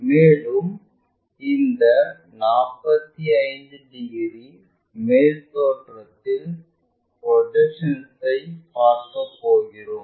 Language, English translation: Tamil, And, this 45 degrees we will be going to see it for this complete projection thing on the top view